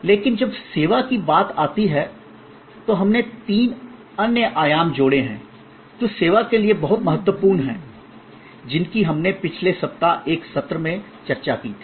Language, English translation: Hindi, But, when it comes to service, we have added three other dimensions which are very important for service, which we discussed in one of the sessions last week